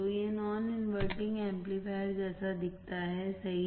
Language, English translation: Hindi, So, this looks like like non inverting amplifier correct